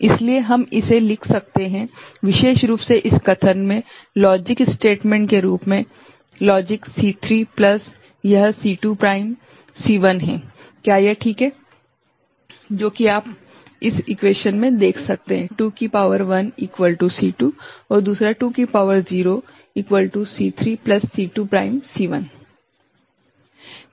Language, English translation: Hindi, So, we can write it, this particular in this statement, in the form of a logic statement logic C3 plus this is C2 prime C1 is it fine ok